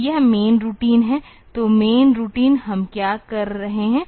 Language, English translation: Hindi, So, this is the main routine; so, main routine what are we doing